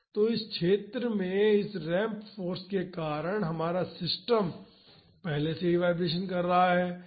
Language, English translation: Hindi, So, because of this ramp force in this zone our system is already vibrating